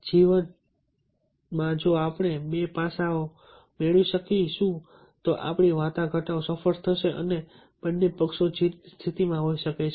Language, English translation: Gujarati, if we are able to have these two aspects, then our negotiation will be successful and both the parties might be in a win win situation